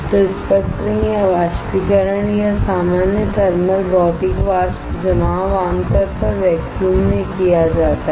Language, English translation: Hindi, So, sputtering or evaporation or in general thermal Physical Vapor Deposition is usually done in a vacuum